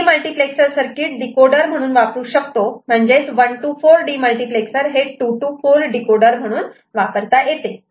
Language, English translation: Marathi, Demultiplexer circuit can be made act as a decoder, for example 1 to 4 demultiplexer can act as 2 to 4 decoder